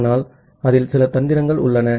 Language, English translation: Tamil, But there are certain tricks in it